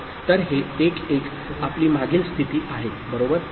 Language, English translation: Marathi, So, this 1 1 is your previous state, right